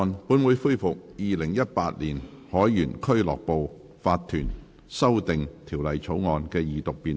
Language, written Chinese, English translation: Cantonese, 本會恢復《2018年海員俱樂部法團條例草案》的二讀辯論。, This Council resumes the Second Reading debate on the Sailors Home and Missions to Seamen Incorporation Amendment Bill 2018